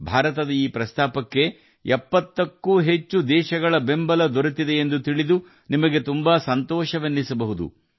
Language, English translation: Kannada, You will also be very happy to know that this proposal of India had been accepted by more than 70 countries